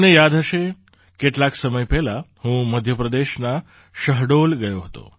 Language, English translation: Gujarati, You might remember, sometime ago, I had gone to Shahdol, M